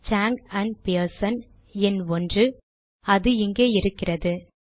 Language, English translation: Tamil, Chang and Pearson, number 1, it appears here